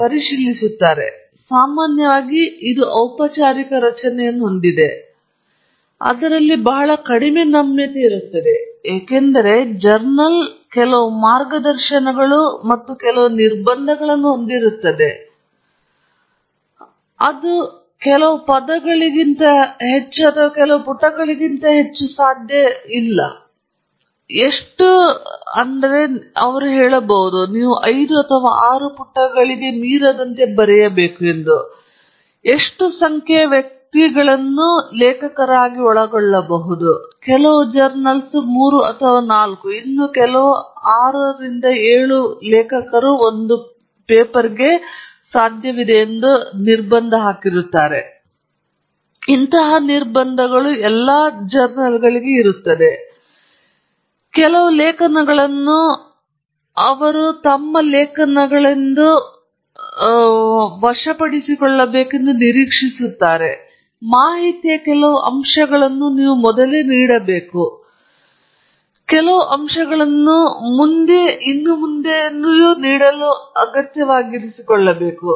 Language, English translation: Kannada, And it often has a formal structure; there’s very minimal flexibility in it, because the journal will have some guidelines and some constraints saying it cannot be more than so many words or not more than so many pages; there may be restrictions on how many figures you can include and so on; and there is a certain style that they will expect their articles to be presented in certain aspects of the information should be presented first, some aspect should be presented next and so on